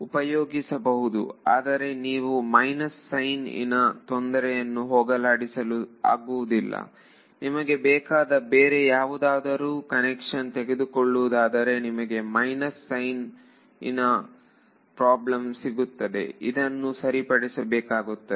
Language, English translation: Kannada, You can use the same, but you will not escape this minus sign issue when you you can assume any other convention you want you will run into some minuses that have to be fixed ok